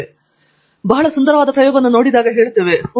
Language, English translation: Kannada, When we see a very elegant experiment we say, oh wow